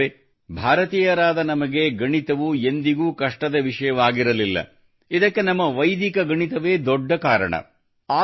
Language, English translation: Kannada, Friends, Mathematics has never been a difficult subject for us Indians, a big reason for this is our Vedic Mathematics